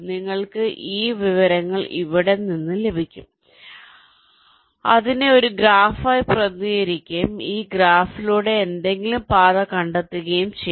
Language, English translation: Malayalam, you can get this information from there, represent it as a graph and find some path through that graph